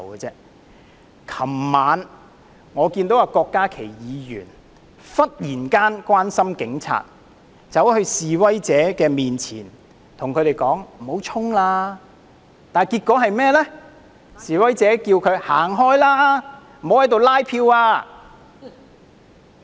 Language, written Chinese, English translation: Cantonese, 昨晚，我看到郭家麒議員忽然關心警察，走到示威者面前叫他們不要衝，結果被示威者叫他"走開，不要在此拉票"。, Yesterday evening I saw Dr KWOK Ka - ki in a sudden gesture of concern for police officers confronted the protesters and urged them not to charge ahead . Get out of the way the protesters countered Do not canvass votes here